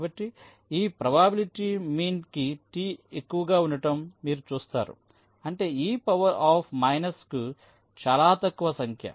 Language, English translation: Telugu, so you see, as the t is high, for this probability means two to the power minus a very small number